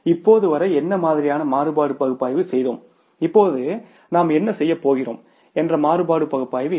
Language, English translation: Tamil, What kind of the variance analysis we did till now and what kind of the variance analysis we are going to do now